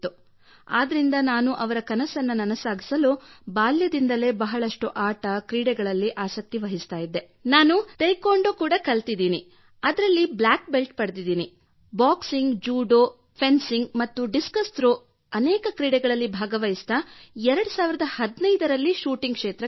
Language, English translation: Kannada, So to fulfil her dream, I used to take a lot of interest in sports since childhood and then I have also done Taekwondo, in that too, I am a black belt, and after doing many games like Boxing, Judo, fencing and discus throw, I came to shooting